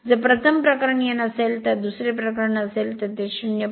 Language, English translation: Marathi, So, if initially it was n, it will be it is it will be 0